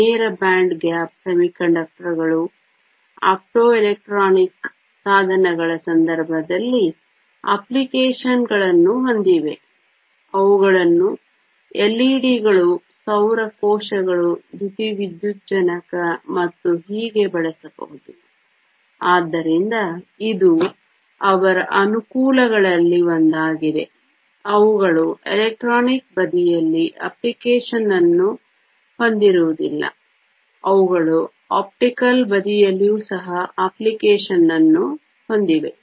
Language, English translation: Kannada, Direct band gap semiconductors have applications in the case of optoelectronic devices; they can be used in LEDs, solar cells, photovoltaic and so on, so that is one of their advantages, they not only have application on the electronic side, they also have application on the optical side